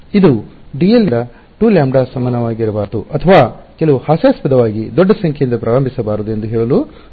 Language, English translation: Kannada, This is just to tell you to not start from d l equal to two lambda or some ridiculously large number